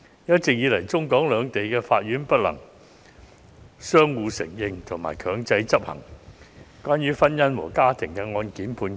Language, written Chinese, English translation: Cantonese, 一直以來，中、港兩地法院不能相互承認和強制執行關於跨境婚姻和中港家庭案件的判決。, All along there has been no reciprocal recognition and enforcement of judgments in family cases involving cross - boundary marriages and Mainland - HKSAR families between the courts in Hong Kong and the Mainland